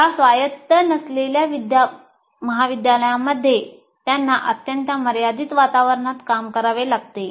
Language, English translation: Marathi, In this non autonomous college, they have to operate in a very constrained environment